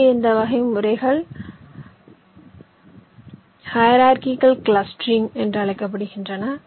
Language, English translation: Tamil, this classes of methods are called hierarchical clustering